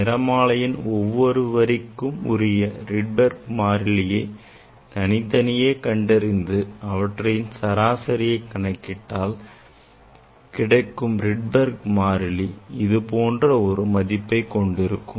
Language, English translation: Tamil, And this Rydberg constant should come same for all spectral lines and then one can take the average of this this Rydberg constant and that value is generally is should come like this